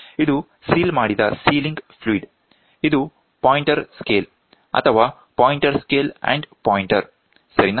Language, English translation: Kannada, This is a sealed sealing fluid, this is a pointer scale or a pointer scale and pointer, ok